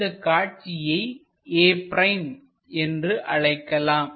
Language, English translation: Tamil, let us call that point a